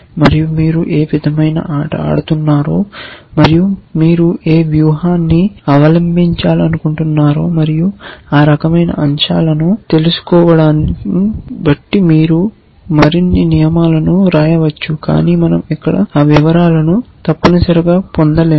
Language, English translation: Telugu, And you can write more rules depending on you know what kind of game you are playing and what is the strategy you want to adopt and that kind of stuff, but we would not get into those details here